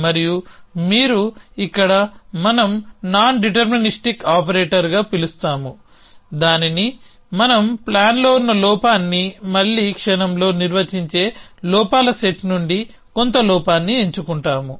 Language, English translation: Telugu, And you have using here what we will call as nondeterministic operator which we choose some flaw from the set of flaw that in the plan is will define flaw the again in moment